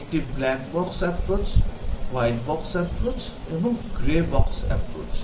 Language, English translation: Bengali, One is black box approach, white box approach and grey box approach